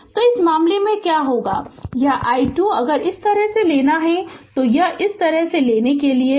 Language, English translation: Hindi, So, in this case what will happen this i 2 is if you take like this it is just to a taking like this